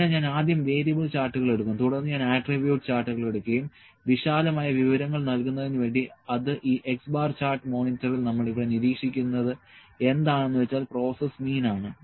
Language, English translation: Malayalam, So, I will first take the variable charts, then I will take the attribute charts to give and broad information that this in this X bar chart monitor what be monitor here is the process mean